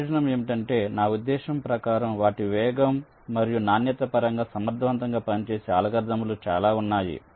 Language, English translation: Telugu, the advantage is that the algorithms are very i mean say, efficient in terms of their speed and quality